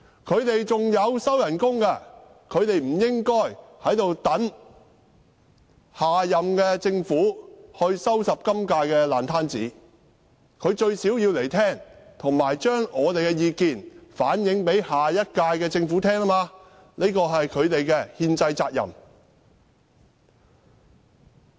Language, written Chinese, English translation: Cantonese, 他們仍在收取薪酬，他們不應等下任政府來收拾今屆政府的爛攤子，他們最低限度要出席聆聽，並把我們的意見反映給下屆政府，這是他們的憲制責任。, They are still receiving salaries . They should not wait until the next Government to clear up the mess of this Government . They should at least attend this meeting and reflect our views to the next Government